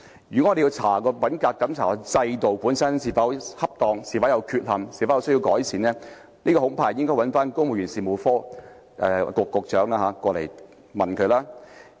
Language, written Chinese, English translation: Cantonese, 如果我們要調查品格審查制度本身是否適當、有否不足之處及是否需要改善，恐怕應要傳召公務員事務局局長到來查問。, If we are to investigate whether the integrity checking system itself is appropriate whether it is inadequate and whether it needs to be improved I am afraid we should summon the Secretary for the Civil Service to come here for an inquiry